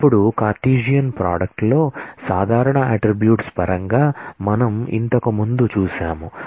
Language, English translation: Telugu, Now, we saw earlier that in Cartesian product, in terms of common attributes